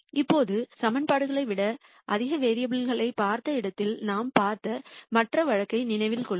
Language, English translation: Tamil, Now, remember the other case that we saw where we looked at much more variables than equations